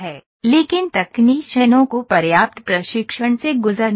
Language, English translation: Hindi, But technicians must go through adequate training